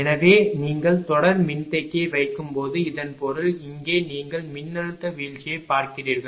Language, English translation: Tamil, So, when you are putting series capacitor means that; here you look the if voltage drop